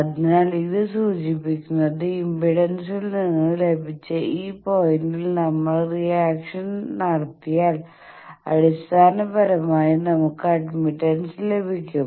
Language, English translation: Malayalam, So, this points this we got from impedance thing that if we take a reflection basically we get the admittance thing